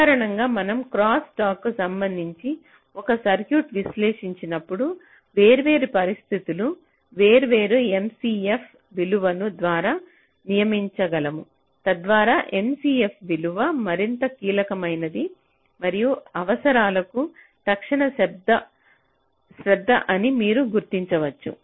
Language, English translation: Telugu, so usually when we analyze a circuit with respect to crosstalk ah, we can ah designate the different situations by different m c f values, so that you can identify that which m, c, f value is more crucial and needs means immediate attention